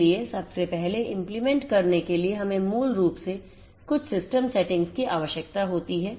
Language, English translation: Hindi, So, first of all we need to so for implementation first we need to basically have certain system settings